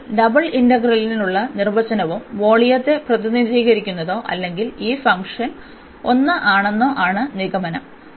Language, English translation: Malayalam, So, the conclusion is we have seen the the definition also for the double integral and which represents the volume or if we said this function to be 1